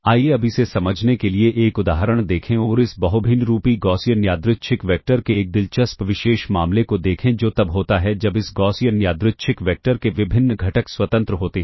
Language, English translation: Hindi, Let us now, look at an example to understand this and let us look at an interesting special case of this Multivariate Gaussian Random Vector, which is when the different components of this Gaussian Random Vector are independent